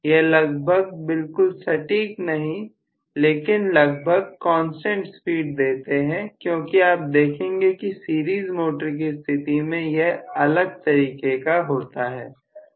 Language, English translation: Hindi, They have fairly not exactly accurately but fairly constant speed because you would see that series motor is just the other way round